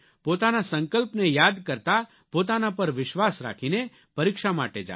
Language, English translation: Gujarati, Keeping your resolve in mind, with confidence in yourself, set out for your exams